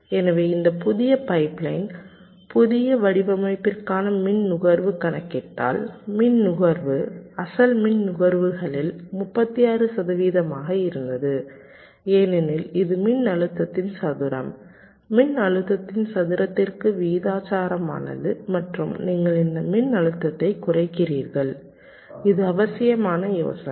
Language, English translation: Tamil, so if you compute the power consumption, so for the power for this new pipe line, new design, the power consumption was about thirty six percent of the original power consumption, because it is square of the voltage, proportional to square of the voltage, and you are reducing this voltage